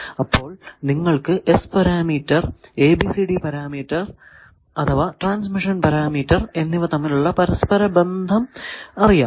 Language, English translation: Malayalam, So, now, you know the interconnection between the ABCD parameter and transmission parameter that was this lecture